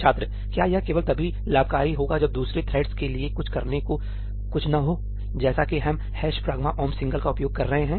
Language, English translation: Hindi, Is this only advantageous when there is nothing for the other threads to do, as we are using ëhash pragma omp singleí